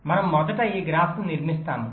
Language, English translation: Telugu, we first construct this graph